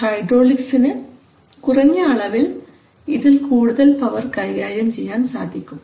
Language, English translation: Malayalam, So in a small hydraulic motor you can handle a lot of power